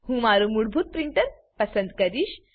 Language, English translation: Gujarati, I will select my default printer